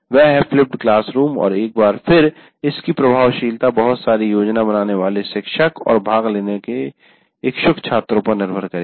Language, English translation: Hindi, So that is flipped classroom and once again its effectiveness will depend on a first teacher doing a lot of planning and also the fact students willing to participate